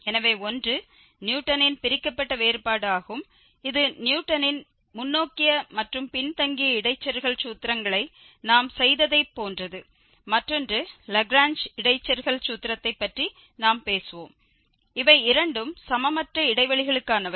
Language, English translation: Tamil, So, the one is Newton's Divided difference which is quite similar to what we have done Newton's forward and backward interpolation formulas and the other one we will be talking about the Lagrange interpolation formula and these both are for unequal intervals